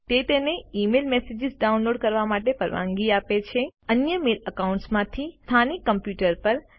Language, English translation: Gujarati, It allows you to download email messages From your other mail accounts To your local computer